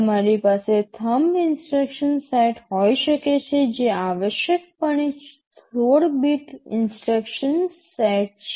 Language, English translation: Gujarati, Yyou can have the thumb instruction set which is essentially a 16 6 bit instruction set right so